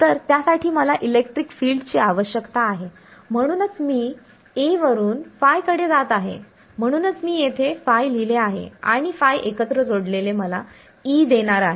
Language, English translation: Marathi, So, for that I need electric field that is why I am going from A to phi that is why I have written phi over here, and phi added together is going to give me E